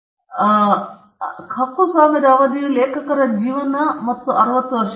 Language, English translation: Kannada, So, the duration of a copyright is life of the author plus 60 years